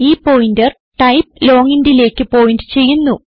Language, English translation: Malayalam, This pointer can point to type long int